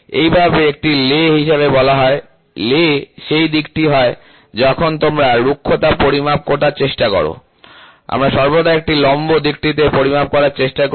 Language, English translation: Bengali, This way it is called as the lay, the lay is the direction which is when you try to measure roughness, we always try to measure it in the perpendicular direction, ok